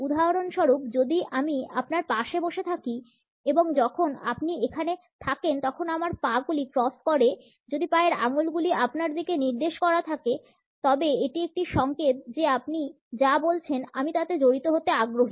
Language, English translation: Bengali, For instance if I am sitting next to you and you are over here my leg is crossed with my toe pointed toward you that is a signal that I am interested in engaged in what you are saying